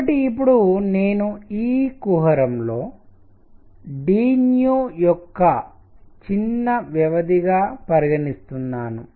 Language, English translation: Telugu, So, now I consider in this cavity a small interval of d nu